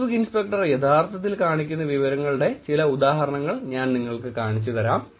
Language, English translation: Malayalam, Whereas let me show you some examples where the Facebook inspector is actually showing you some information